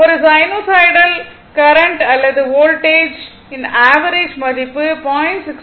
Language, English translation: Tamil, Average value of the sinusoidal current or voltage both are multiplied by 0